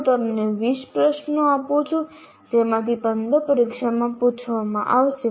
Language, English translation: Gujarati, I give you 20 questions out of which 15 will be asked, which happens everywhere